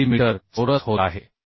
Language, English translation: Marathi, 9 millimetre square